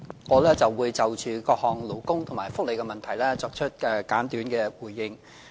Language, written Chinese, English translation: Cantonese, 我會就各項勞工和福利問題作出簡短的回應。, I will give a brief response to a range of labour and welfare issues